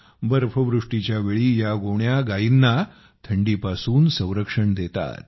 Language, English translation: Marathi, During snowfall, these sacks give protection to the cows from the cold